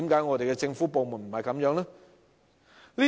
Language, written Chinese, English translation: Cantonese, 為何政府部門並非如此？, Why is this not the case for government departments?